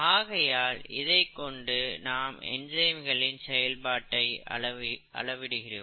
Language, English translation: Tamil, So, this is what we use to quantify the activity of enzymes